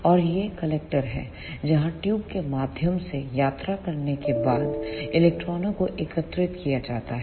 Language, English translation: Hindi, And this is the collector where electrons are collected after traveling through the tube